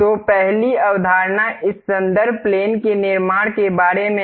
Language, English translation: Hindi, So, the first concepts is about constructing this reference plane